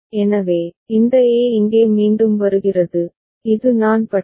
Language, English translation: Tamil, So, this A is coming back over here and this is I bar